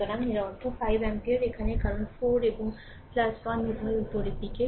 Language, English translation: Bengali, So, that means, 5 ampere is here 5 ampere is here your here it is 5 ampere because 4 and plus 1 both are upwards